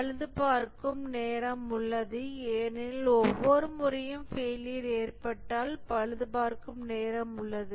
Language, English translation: Tamil, There is a repair time because each time there is a failure, there is a repair time